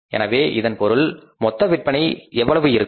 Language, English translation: Tamil, So, it means total sales are going to be how much